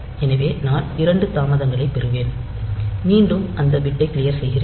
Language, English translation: Tamil, So, I will get two delays then clear that bit